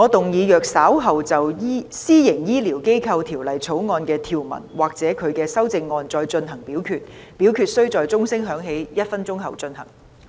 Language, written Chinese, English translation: Cantonese, 主席，我動議若稍後就《私營醫療機構條例草案》的條文或其修正案再進行點名表決，表決須在鐘聲響起1分鐘後進行。, Chairman I move that in the event of further divisions being claimed in respect of any provisions of or any amendments to the Private Healthcare Facilities Bill this committee of the whole Council do proceed to each of such divisions immediately after the division bell has been rung for one minute